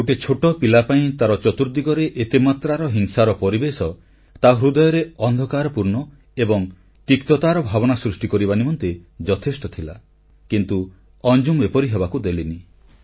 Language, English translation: Odia, For a young child, such an atmosphere of violence could easily create darkness and bitterness in the heart, but Anjum did not let it be so